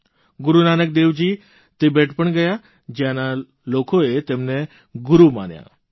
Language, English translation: Gujarati, Guru Nanak Dev Ji also went to Tibet where people accorded him the status of a Guru